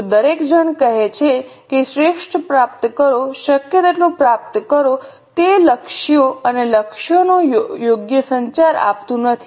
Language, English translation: Gujarati, If everybody just says that achieve the best, achieve as much as possible, it doesn't give a proper communication of the goals and targets